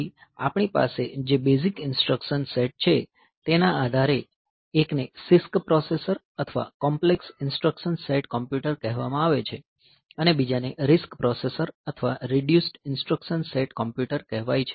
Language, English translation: Gujarati, So, that on the basis of the instructions set that we have; one is called the CISC processor or complex instruction set computers and another is called the RISC processor or reduced instruction set computers